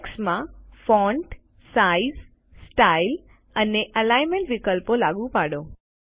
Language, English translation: Gujarati, Apply the font, size, style and alignment options to the text